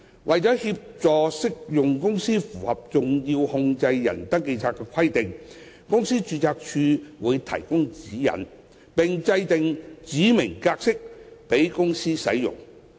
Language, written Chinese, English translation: Cantonese, 為協助適用公司符合登記冊的規定，公司註冊處會提供指引，並制訂指明格式供公司使用。, In order to assist applicable companies in complying with the various requirements relating to a SCR the Companies Registry will provide guidelines and develop specified forms for use by companies